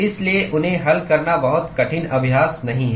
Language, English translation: Hindi, So, it is not a very difficult exercise to solve them